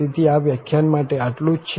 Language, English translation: Gujarati, So, that is all for this lecture